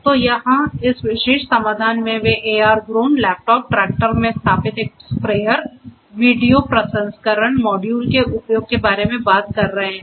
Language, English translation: Hindi, So, here in this particular solution they are talking about the use of AR Drones, laptops, a sprayer installed in the tractor, video processing modules